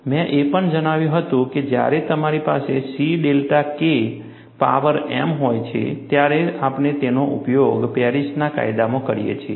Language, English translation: Gujarati, I had also mentioned, when you have C delta K power m, we use that in Paris law